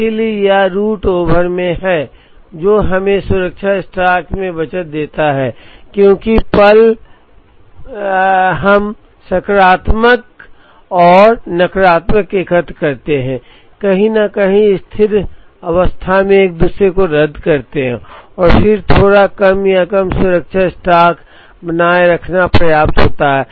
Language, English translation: Hindi, So, it is at root over, which gives us the saving in the safety stock, because moment we aggregated the positives and negatives, somewhere cancel out each other at steady state and then it is enough to have a slightly lesser or lower safety stock to take care of this